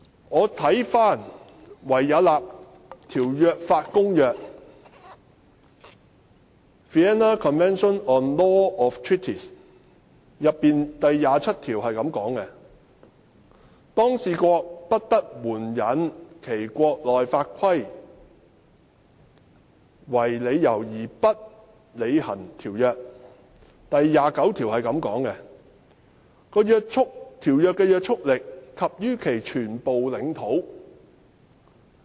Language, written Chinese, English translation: Cantonese, 我翻查《維也納條約法公約》，當中第二十七條訂明："一當事國不得援引其國內法規定為理由而不履行條約"，而第二十九條則訂明："條約對每一當事國之拘束力及於其全部領土"。, I have looked up the Vienna Convention on the Law of Treaties in which Article 27 provides that [a] party may not invoke the provision of its internal law as jurisdiction for its failure to perform a treaty whereas Article 29 provides that a treaty is binding upon each party in respect of its entire territory